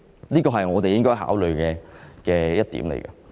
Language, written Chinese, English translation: Cantonese, 這是我們應該考慮的事。, All these should be considered